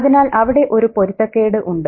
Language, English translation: Malayalam, So there's a mismatch there